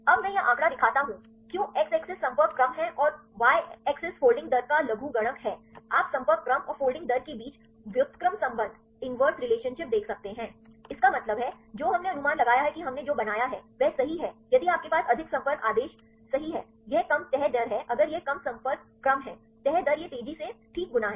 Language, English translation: Hindi, Now, I show these figure, why x axis is the contact order and y axis is the logarithmic of the folding rate you can see the inverse relationship between the contact order and the folding rate so; that means, what we assumption what we made that is correct if you have more contact order right; that is less folding rate if it is less contact order is folding rate is it folds fast right fine